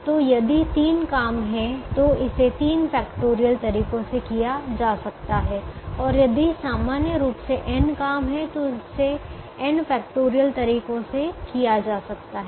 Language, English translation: Hindi, so if there are three jobs, it can be done in three factorial ways, and if there are n jobs in general, it can be done in n factorial ways